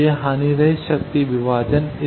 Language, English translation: Hindi, So, this is the lossless power divider